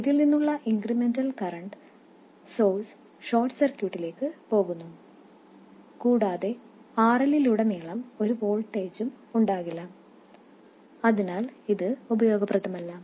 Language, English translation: Malayalam, So, the incremental current source from this simply goes into the short circuit and there will be no voltage at all across RL, so this is not useful